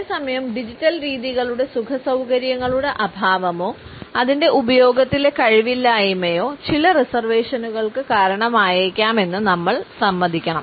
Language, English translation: Malayalam, At the same time we have to admit that our lack of comfort or our lack of competence in the use of digital methods may also result in certain reservations